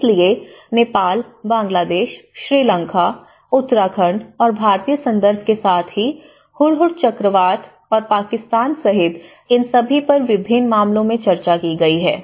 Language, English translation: Hindi, So, all this they have been discussed in different cases including Nepal, Bangladesh and Sri Lanka, Uttarakhand, Indian context and as well as Hudhud cyclone and as well as Pakistan